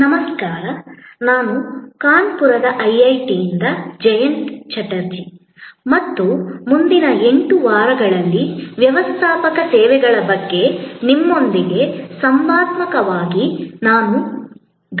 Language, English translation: Kannada, Hi, this is Jayanta Chatterjee from IIT, Kanpur and over the next 8 weeks, I am going to focus on and discuss with you interactively about Managing Services